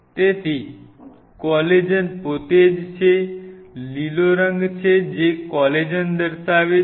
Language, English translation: Gujarati, So, the collagen itself is a so, the green one is showing the collagen